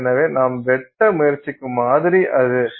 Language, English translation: Tamil, So, that is your sample that you are trying to cut